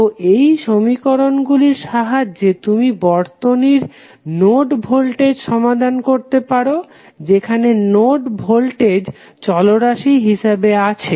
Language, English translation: Bengali, So, with this equation creation you can solve the circuits which are having node voltages, which are having node voltages as a variable